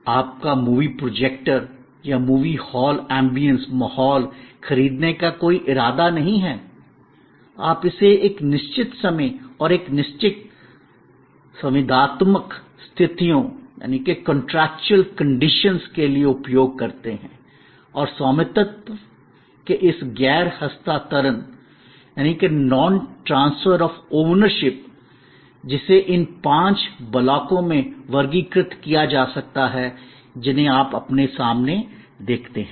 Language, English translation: Hindi, You have no intention of buying movie projectors or the movie hall ambience, you use it for a certain time and a certain contractual conditions and this non transfer of ownership, which can be categorized in these five blocks that you see in front of you